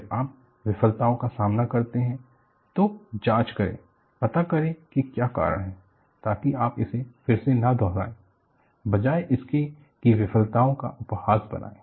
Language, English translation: Hindi, When you face failures, investigate, find out what is the cause, so that, you do not repeat it again; rather than ridiculing failures